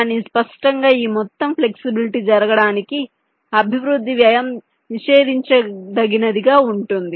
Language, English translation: Telugu, but obviously, for this entire flexibility to happen, the development cost can be prohibitively high